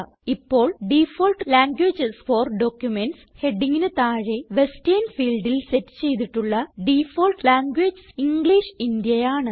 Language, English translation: Malayalam, Now under the headingDefault languages for documents, the default language set in the Western field is English India